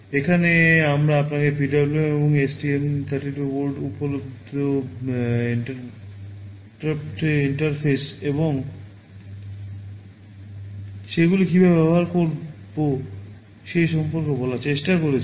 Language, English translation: Bengali, Here, we have tried to tell you about the PWM and the interrupt interfaces that are available on the STM 32 board and how to use them